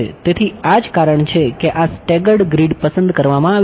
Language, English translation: Gujarati, So, that is the reason why this staggered grid is chosen